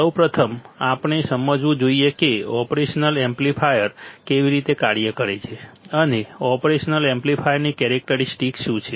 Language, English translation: Gujarati, First of all, we should understand how the operational amplifier works, and what are the characteristics of the operational amplifier